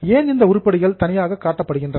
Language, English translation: Tamil, Now, why these items are shown separately